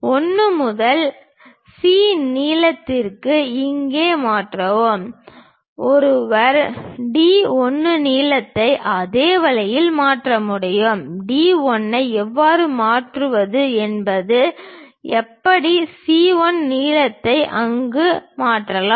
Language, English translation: Tamil, Transfer 1 to C length here; one can transfer D 1 length also in the same way, the way how we transfer D 1 we can transfer it there all 1 C length we can transfer it